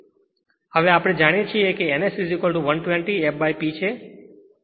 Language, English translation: Gujarati, Now, we know that n S is equal to 120 f by P